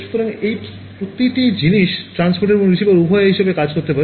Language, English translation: Bengali, So, each of these things can act as both as a transmitter and receiver